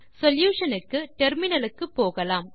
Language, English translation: Tamil, Now Switch to terminal for solution